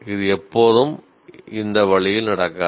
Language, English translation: Tamil, It may not always happen that way